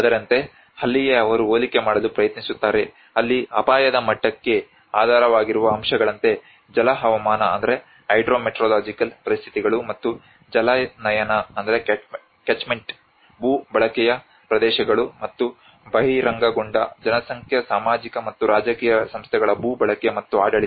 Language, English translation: Kannada, Like, that is where they try to compare, like in the factors underlying the level of risk here the Hydrometeorological conditions and the catchment the land use areas and what are the land use of exposed demographic social and political institutions and the governance